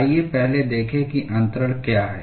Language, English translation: Hindi, Let us first look at what is transfer